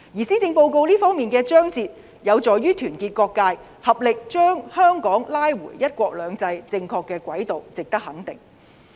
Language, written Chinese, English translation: Cantonese, 施政報告這方面的章節有助於團結各界，合力把香港拉回"一國兩制"的正確軌道，值得肯定。, The relevant chapters in the Policy Address are conducive to uniting all sectors and pooling all the efforts in putting Hong Kongs one country two systems back on the right track which deserve our recognition